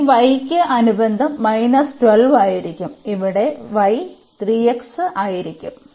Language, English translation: Malayalam, So, the corresponding to this y will be minus 12 and here the y will be 3 x so, 3